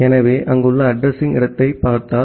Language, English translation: Tamil, So, if you look into the address space which are there